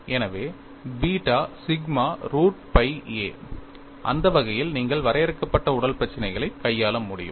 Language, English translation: Tamil, So, beta sigma root of pi a, that way you can handle finite body problem